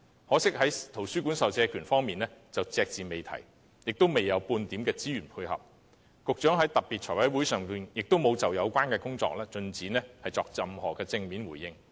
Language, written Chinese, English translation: Cantonese, 可惜在圖書館授借權方面，預算案隻字不提，也未有半點資源配合，當局在財務委員會特別會議上也沒有就相關工作的進展作出任何正面回應。, Regrettably there was no mention of the public lending right in libraries in the Budget and not the least bit of resources was allocated as a complementary measure . Neither did the authorities give any positive response on the progress of the relevant work at the special meeting of the Finance Committee